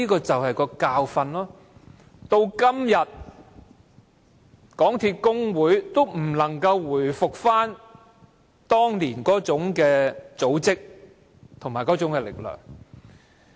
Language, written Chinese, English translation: Cantonese, 這便是教訓，港鐵公司的工會至今仍不能回復當年那種組織和力量。, This is a lesson and up till now the trade union of MTRCL is still unable to resume the organization and strength back then